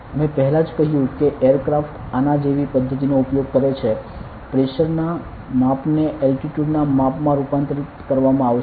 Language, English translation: Gujarati, s I already said aircraft use this method to of like; the measurement of Pressure will be converted to the measurement of Altitude